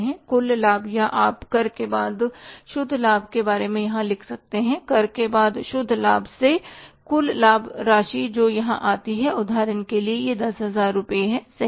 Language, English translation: Hindi, Whatever the total profit or you can write here as the buy net profit after tax, buy net profit after tax, whatever the total amount comes here for example it is 10,000